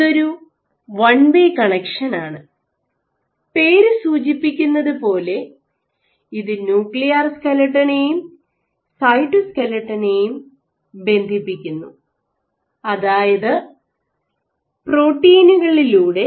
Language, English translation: Malayalam, So, this is only one way connection, now as this term says linker of nuclear skeleton and cytoskeleton; that means, that there must be proteins